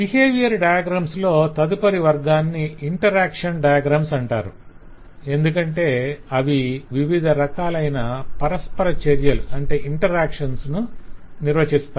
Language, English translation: Telugu, the next set of behavioral diagrams are all clubbed in to one sub category known as interaction diagram, because the define different kinds of interaction behaviour